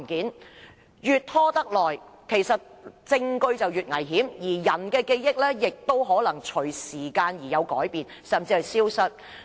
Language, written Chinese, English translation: Cantonese, 時間越拖得久，證據便越危險，而人的記憶，亦會隨時間而改變，甚至消失。, The longer the delay the more dangerous the evidence becomes as peoples memory will change or even disappear over time